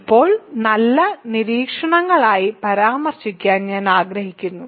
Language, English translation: Malayalam, So, now I want to mention as nice observations